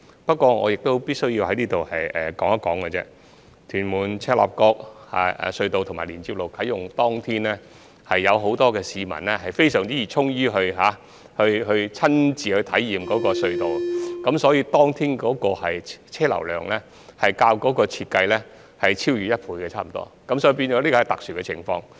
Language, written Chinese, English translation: Cantonese, 不過，我必須說的是，屯門─赤鱲角隧道啟用當天，有很多市民非常熱衷親身體驗這條隧道，以致當天大嶼山的車流量超越預期差不多一倍，這是一個特殊情況。, For this reason people often have the impression that a road runs out of capacity soon after its commissioning . In the case of the Tuen Mun - Chek Lap Kok Link for example the construction of the Tuen Mun - Chek Lap Kok Link Northern Connection was completed two years later than planned